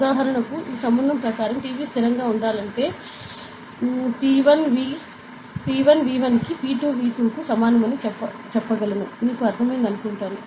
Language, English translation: Telugu, For example, I would say, according to this relation PV say constant, we can say that P 1 V 1 equal to P 2 V 2, right; so, you understand that right, yeah